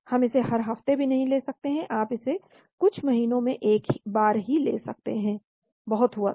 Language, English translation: Hindi, We cannot take it even every week, you may be able to take it once in a few months that is all